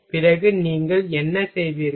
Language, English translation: Tamil, Then what you will do